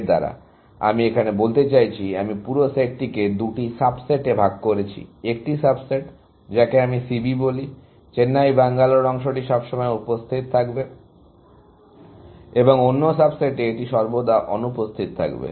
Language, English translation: Bengali, By this, I mean, I have portioned the whole set into two subsets; in one subset, which I call C B; the Chennai Bangalore segment will always be present; and in the other subset, it will always be absent, essentially